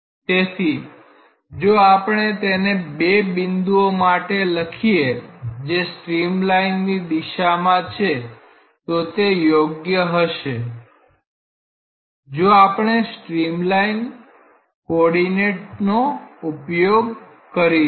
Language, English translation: Gujarati, So, if we write it for 2 points along a streamline it may be very convenient, if we use the streamline coordinates